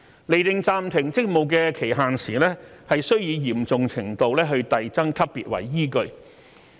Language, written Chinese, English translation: Cantonese, 釐定暫停職務的期限時須以嚴重程度遞增級別為依據。, The duration of suspension is subject to an escalating scale of severity